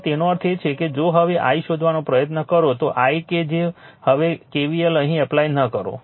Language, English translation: Gujarati, So; that means, if you now try to find out i, then i that if you if you now not apply k v l here